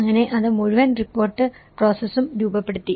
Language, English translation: Malayalam, So, that has framed the whole report process